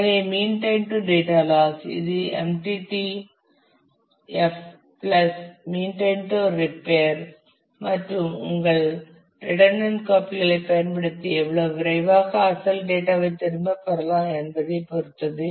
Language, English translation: Tamil, So, mean time to data loss it depends on the MTTF plus the mean time to repair how quickly can we use your redundant copies and get back the original data